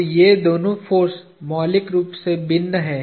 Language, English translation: Hindi, So, these two forces are fundamentally different